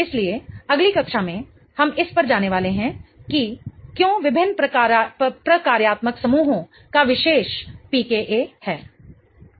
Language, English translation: Hindi, So, in the next class we are going to go over the why different functional groups have these particular PKs